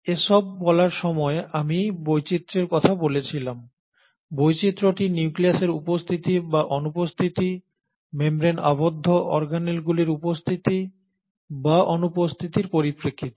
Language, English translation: Bengali, I said all this while I spoke about the diversity, the diversity was in terms of the presence or absence of nucleus, the presence or absence of membrane bound organelles